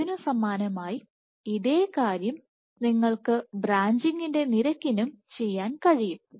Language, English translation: Malayalam, So, similarly you can do the same thing for the rate of branching